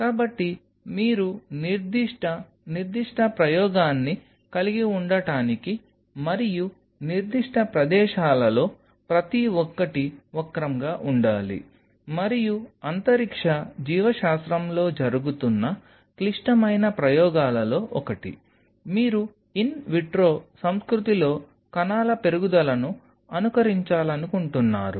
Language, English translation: Telugu, So, you have to curve out and each of certain spots to have certain specific experiment and one of the critical experiments what is being done in space biology is where you wanted to simulate the growth of cells in an in vitro culture